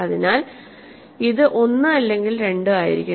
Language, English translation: Malayalam, So, it has to be either 1 or 2